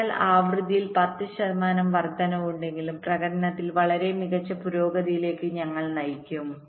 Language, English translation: Malayalam, so even a ten percent increase in frequency, we will lead to a very fantastic improve in performance